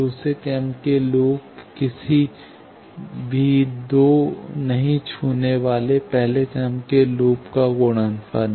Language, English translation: Hindi, Second order loop is product of any two non touching first order loop